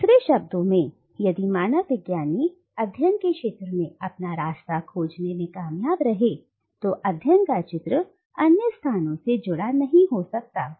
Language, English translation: Hindi, Now, in other words, if the anthropologist managed to find his or her way to the field of study then that field of study cannot but be connected to other places